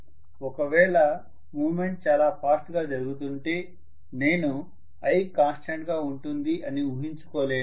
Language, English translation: Telugu, If the movement is taking place really really fast, I cannot assume now that I am going to have i as a constant